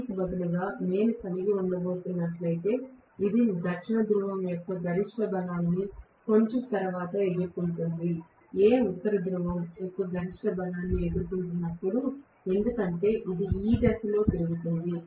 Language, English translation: Telugu, Rather than that, if I am going to have, maybe this is facing the maximum strength of South Pole a little later than, when A faces the maximum strength of North Pole because it is going to rotate in this direction